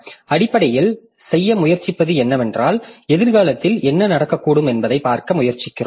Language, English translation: Tamil, So, what we are trying to do essentially is that we are trying to see like what can happen in future